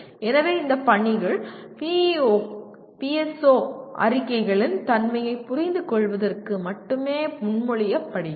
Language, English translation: Tamil, So these assignment are proposed only to understand, to facilitate the understanding of the nature of PEO, PSO statements